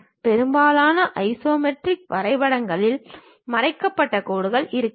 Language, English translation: Tamil, Most isometric drawings will not have hidden lines